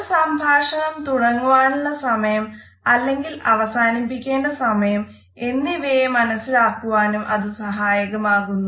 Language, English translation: Malayalam, They also help us to understand whether a communication is to be started or when it is the time to end our communication